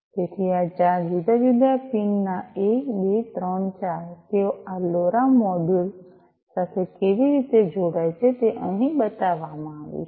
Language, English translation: Gujarati, So, these four different PIN’s 1 2 3 4 how they connect to this LoRa module is shown over here, right